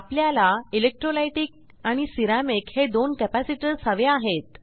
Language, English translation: Marathi, Next we need two capacitors, electrolytic and ceramic